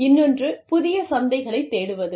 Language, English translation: Tamil, So, you will search for new markets